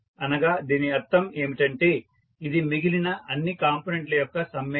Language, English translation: Telugu, So, that means this will be summation of all other components